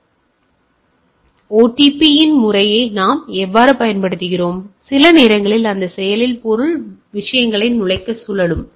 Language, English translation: Tamil, So, what we use method of OTP, or sometimes that active the mean spin to enter the things